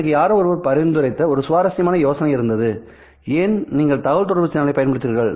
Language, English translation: Tamil, Well, there was a very interesting idea that someone suggested to me as to why should you have a communication channel at all